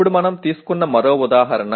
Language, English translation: Telugu, Now another one example that we pick up